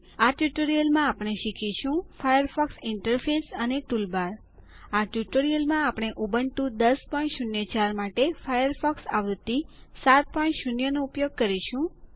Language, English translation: Gujarati, In this tutorial we will learn about:The Firefox interface and the toolbars In this tutorial, we will use Firefox version 7.0 for Ubuntu 10.04 Lets now take a look at the Firefox interface